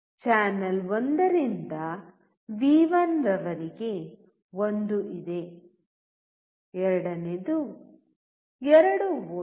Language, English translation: Kannada, There is one from channel 1 to V1, second 2 volts